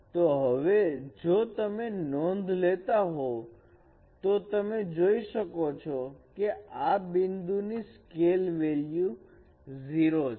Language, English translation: Gujarati, So now you can see that this point if you notice that the scale value is 0